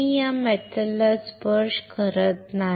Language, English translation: Marathi, I am not touching this metal